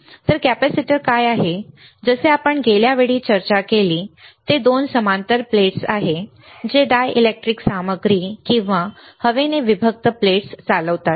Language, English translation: Marathi, So, what are capacitors like we discussed last time, they are two parallel plates conducting plates separated by a dielectric material or air